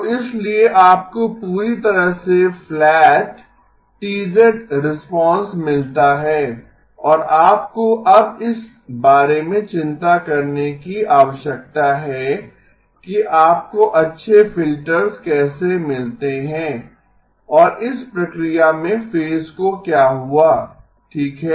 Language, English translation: Hindi, So therefore you get perfectly flat T of z response and all you need to now worry about is how do you get good filters and in the process what has happened to the phase okay